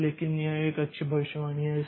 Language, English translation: Hindi, So, but it's a good prediction